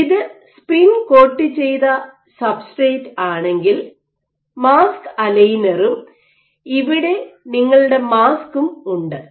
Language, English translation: Malayalam, So, if this is your spin coated substrate you have your mask aligner and here is your mask